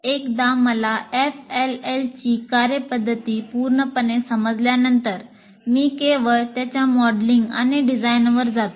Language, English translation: Marathi, So once I fully understand the function of an FLL, then only I can go to actual, it's modeling and design